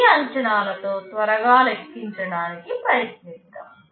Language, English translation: Telugu, With this assumption let us try to make a quick calculation